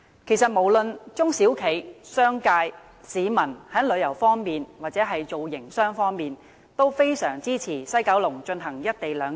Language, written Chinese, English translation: Cantonese, 其實，無論是中小企、商界、市民，在旅遊或營商方面也非常支持在西九龍進行"一地兩檢"。, Actually small and medium enterprises the business sector as well as members of the public strongly support the implementation of the co - location arrangement at the West Kowloon Station in respect of travelling or doing business